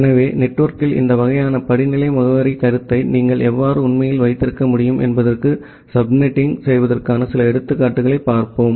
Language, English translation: Tamil, So, let us look a few example of subnetting that how can you actually have this kind of hierarchical addressing concept in network